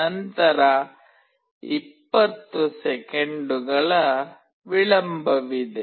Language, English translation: Kannada, Then there is a delay of 20 seconds